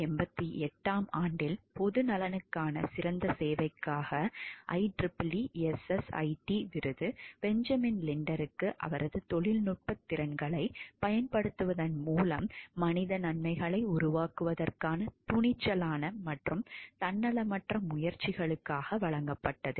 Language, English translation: Tamil, In 1988 the IEEE SSIT award for outstanding service in the public interest was awarded to Benjamin Linder for his courageous and altruistic efforts to create human good by applying his technical abilities